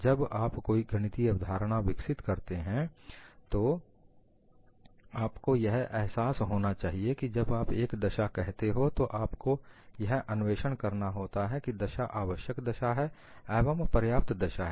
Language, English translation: Hindi, Whenever you develop a mathematical concept, you have to realize, when you state a condition; you have to investigate whether the condition is a necessary condition as well as a sufficient condition